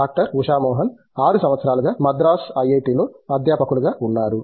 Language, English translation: Telugu, Usha Mohan has been here at as a faculty in IIT, Madras for 6 years